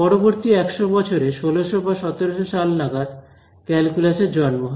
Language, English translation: Bengali, So, that in the next 100 years about 1600 or 1700s it was the birth of calculus right